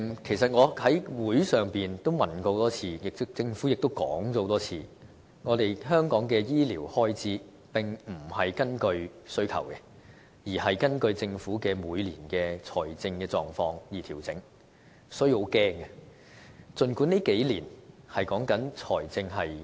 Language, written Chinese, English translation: Cantonese, 其實我在立法會會上多次提問，而政府也多次重申，香港的醫療開支並非根據需求，而是根據政府每年的財政狀況而調整，所以，這令人感到很害怕。, In fact as I have enquired time and again in the Legislative Council the Government has reiterated that health care expenditure in Hong Kong does not vary according to demand but to the Governments financial status every year . This is worrying